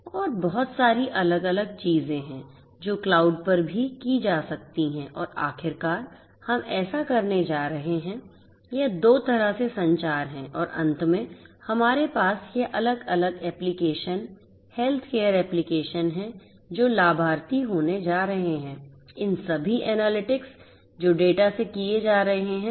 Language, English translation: Hindi, And there is lot of other different things could also be done at the cloud and finally, we are going to have this is two way communication and finally, we are going to have this different applications, this different applications healthcare applications which are going to be the beneficiaries from all these analytics on the data that are coming in right